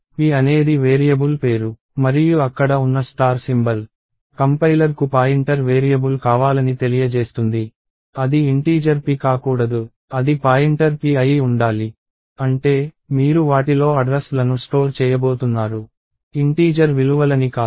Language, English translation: Telugu, So, p is the name of the variable and the star symbol there, informs the complier that we want a pointer variable, it should not be an integer p, it should be a pointer p which means, you are going to store addresses in them and not integer values and the compiler will set aside, how many ever bytes you want to store the address